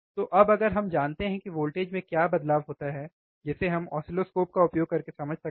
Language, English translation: Hindi, So now if we know what is the change in the voltage, that we can understand using oscilloscope, right